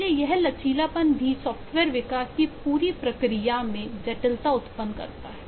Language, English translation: Hindi, so this flexibility adds a lot of complexity to the whole process of software development